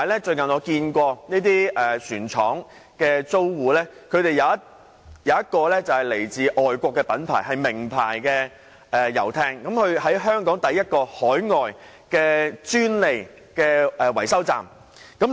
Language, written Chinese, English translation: Cantonese, 最近，我發現有一船廠租戶是來自外國著名遊艇品牌，是首個在港設有海外專利維修站的品牌。, Lately I notice that a tenant of a shipyard is a famous overseas yacht brand which is the first overseas brand establishing a franchised repairs station in Hong Kong